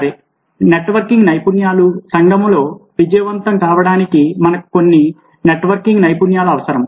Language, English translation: Telugu, ok, so networking skills: we need certain networking skills in order to be successful in a community